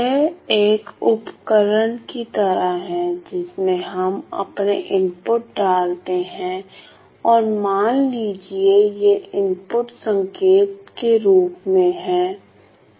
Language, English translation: Hindi, It is like a device where we feed in we feed in an input and let us say the input is in the form of a signal right